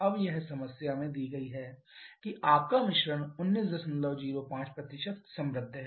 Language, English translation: Hindi, Now it is given in the problem that your mixture is 19